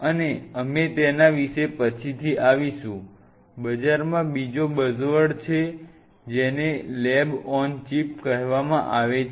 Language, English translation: Gujarati, So, and we will be coming later about it the there is another buzzword in the market which is called lab on a chip